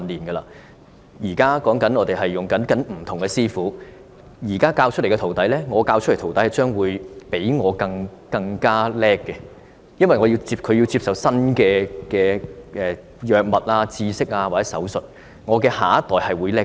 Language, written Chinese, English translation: Cantonese, 我們現在跟隨不同師傅學習，現在我教導出來的徒弟，將會比我更有本事，因為他要接觸新的藥物、知識或手術，我的下一代會比我更好。, Nowadays we learn from different mentors . The mentee taught by me now will be more competent than me in the future because he has to get in touch with new drugs knowledge or surgical operations . The next generation will be better than ours